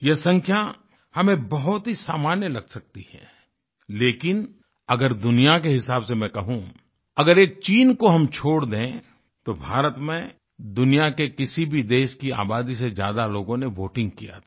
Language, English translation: Hindi, We can think of this figure as one ordinary but if I place it in a global perspective, if you exclude China, the number of people who voted in India exceeds the population of any other country in the world